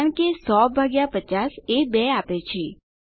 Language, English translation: Gujarati, That is because 100 divided by 50 gives 2